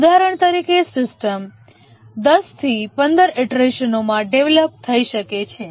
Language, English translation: Gujarati, For example, a system may get developed over 10 to 15 iterations